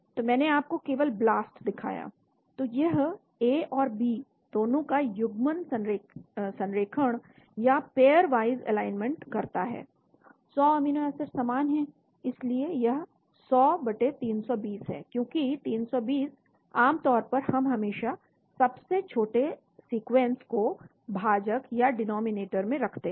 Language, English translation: Hindi, So I just showed you BLAST, so it makes a pairwise alignment of both A and B, 100 amino acids are identical, so it is 100/320 because 320, generally we always use the smallest sequence as in the denominator